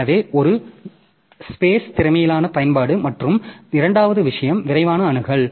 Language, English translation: Tamil, So, one is the efficient utilization of the space and the second thing is the quick access